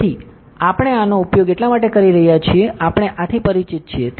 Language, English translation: Gujarati, So, just because we are using this so, we are familiar with this